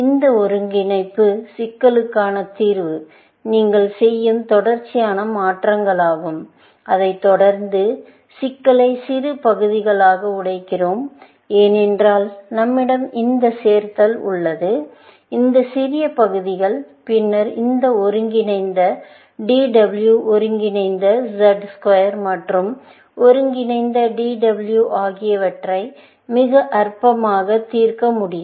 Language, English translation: Tamil, The solution to this integration problem is a series of transformations that you do, followed by, breaking up the problem into smaller parts, because we have this addition here; these smaller parts, and then, we can solve this integral DW integral Z square and integral DW, very trivially